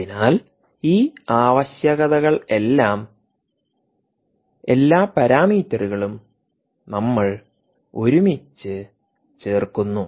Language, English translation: Malayalam, all these parameters, all these requirements that we put together